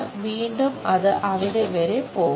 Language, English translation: Malayalam, Again, it goes all the way there